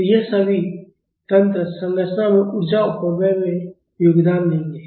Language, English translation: Hindi, So, all these mechanisms will contribute to the energy dissipation in the structure